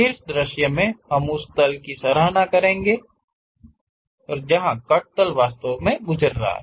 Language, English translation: Hindi, In top view we will be in a position to appreciate the plane, the cut plane where exactly it is passing